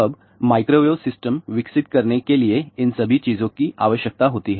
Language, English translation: Hindi, Now, all these things are required for developing a microwave system